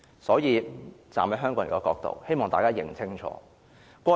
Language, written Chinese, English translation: Cantonese, 所以，站在香港人的角度，我希望大家看清楚。, Hence I hope Members can clearly grasp the situation from the perspective of Hong Kong people